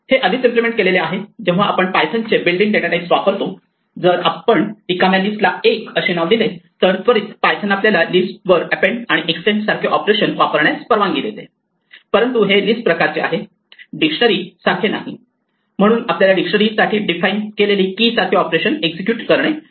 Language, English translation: Marathi, In a sense this is already implemented when we use the built in data types of python, if we announce that the name l is of type list by setting l to the empty list then immediately python will allow us to use operations like append and extend on this list, but because it is of list type and not dictionary type we would not be able to execute an operations such as keys which is defined for dictionaries are not list